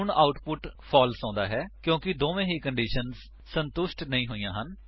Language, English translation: Punjabi, Now the output is false because both the conditions are not satisfied